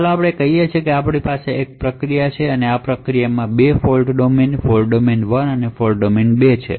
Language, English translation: Gujarati, So let us say that we have a one process and these processes have has 2 fault domains, fault domain 1 and fault domain 2